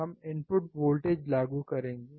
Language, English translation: Hindi, We will be applying the input voltage